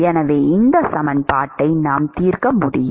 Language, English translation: Tamil, So, we can solve this equation